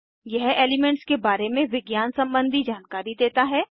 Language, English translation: Hindi, It provides scientific information about elements